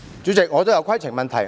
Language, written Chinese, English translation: Cantonese, 主席，我想提出規程問題。, President I wish to raise a point of order